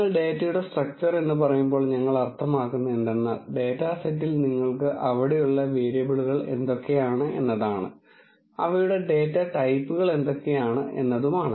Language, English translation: Malayalam, When you say structure of data what do we mean by that is in the data set you have what are the variables that are there, and what are their data types